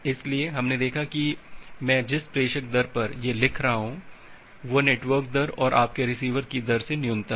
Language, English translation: Hindi, So, we have seen that the sender rate I am writing it has srate is minimum of the network rate and your receiver rate